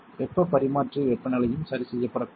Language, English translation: Tamil, The heat exchanger temperature should also not be adjusted